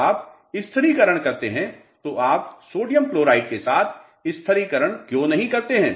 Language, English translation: Hindi, When you do stabilization, why do not you do a stabilization with sodium chloride